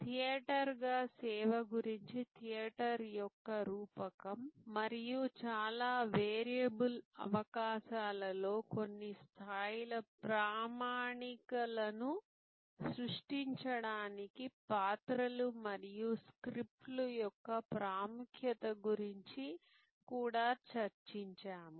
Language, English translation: Telugu, And also we discussed about service as a theater the metaphor of theater and the importance of roles and scripts to create some levels of standardization in highly variable possibilities